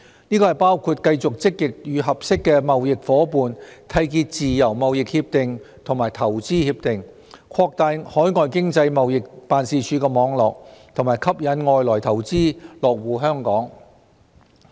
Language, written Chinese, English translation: Cantonese, 這包括繼續積極與合適的貿易夥伴締結自由貿易協定和投資協定、擴大海外經濟貿易辦事處網絡，以及吸引外來投資落戶香港等。, This includes continued efforts to proactively enter into free trade agreements and investment agreements with suitable trading partners expand the network of overseas economic and trade offices and attract foreign investors to establish their base in Hong Kong